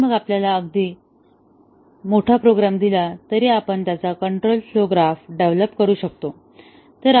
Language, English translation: Marathi, And then, we given even a very large program, we can develop its control flow graph